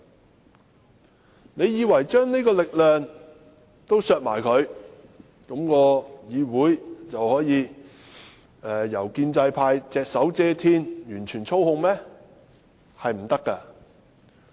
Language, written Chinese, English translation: Cantonese, 大家以為削去這種力量後，議會就可以由建制派隻手遮天，完全操控嗎？, Will the deprivation of this power really enable the pro - establishment camp to totally control this legislature?